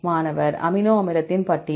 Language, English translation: Tamil, List of amino acid